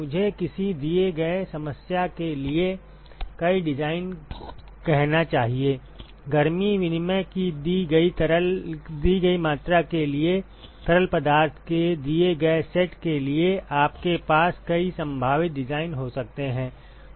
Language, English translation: Hindi, I should rather say several designs for a given problem, for a given amount of heat exchange, for a given set of fluids you can have several possible designs